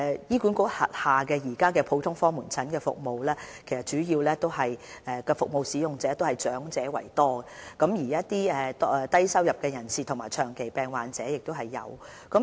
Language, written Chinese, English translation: Cantonese, 醫管局轄下的普通科門診服務的主要服務使用者以長者居多，當中也有一些低收入人士和長期病患者。, The GOP services under HA are mostly used by the elderly people and occasionally by low - income persons and chronically ill patients